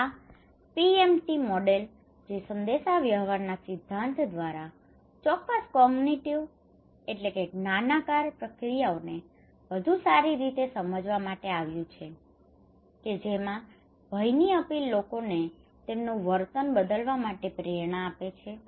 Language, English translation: Gujarati, This one the PMT model, that came from the communications theory to better understand the specific cognitive process underlying how fear appeals motivate people to change their behaviour